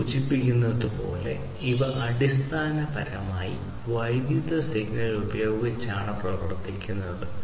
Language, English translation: Malayalam, So, as this name suggests, these are basically powered by electric signal